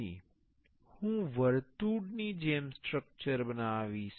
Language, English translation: Gujarati, Then I will make the structure as the circle